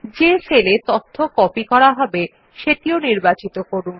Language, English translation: Bengali, Also select the cells where we want to copy the data